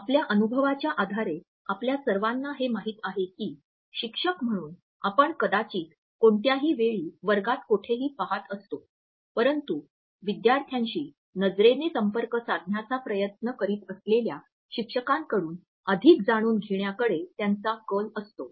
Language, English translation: Marathi, All of us know on the basis of our experience that as teachers we might be looking at anywhere in the classroom at anytime, but students tend to learn more from those teachers who they think are trying to maintained an eye contact with them